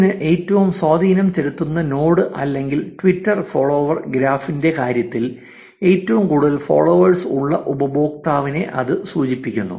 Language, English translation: Malayalam, It can signify the most influential node or in case of Twitter follower graph, the user with highest number of followers